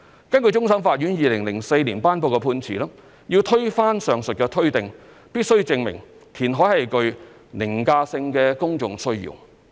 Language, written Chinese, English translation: Cantonese, 根據終審法院2004年頒布的判詞，要推翻上述推定，必須證明填海是具"凌駕性的公眾需要"。, Pursuant to the judgment handed down by the Court of Final Appeal in 2004 an overriding public need for reclamation must be established to rebut the said presumption